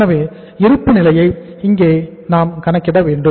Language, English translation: Tamil, So balance sheet we have to take here